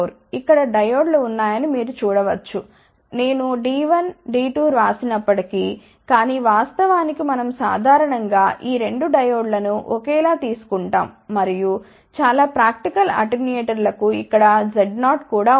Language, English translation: Telugu, You can actually see that there are diodes are there, even though I have written D 1 D 2, but in a reality we generally take these 2 diodes identical and for many practical attenuators you do not even meet Z 0 over here